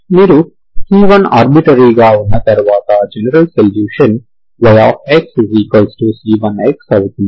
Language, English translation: Telugu, Once you have c1 arbitrary, the general solution is this one